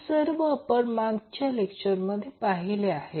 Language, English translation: Marathi, So, this is what we discuss in the last class